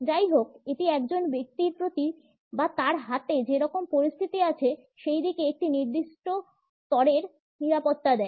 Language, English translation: Bengali, However, it suggests a certain level of a security either towards a person or towards the situation at hand